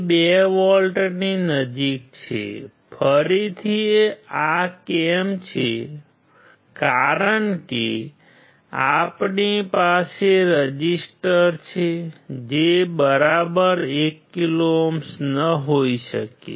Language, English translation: Gujarati, It is close to 2 volts; again why this is the case, because we have resistors which may not be exactly 1 kilo ohm